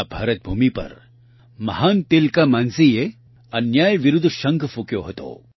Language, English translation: Gujarati, It was on this very land of India that the great Tilka Manjhi sounded the trumpet against injustice